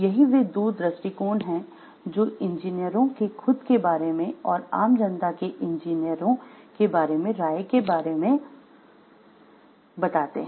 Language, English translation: Hindi, So, these are 2 viewpoints which the engineers have about themselves and what the public at large have about the engineers